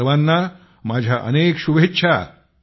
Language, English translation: Marathi, Best wishes to all of you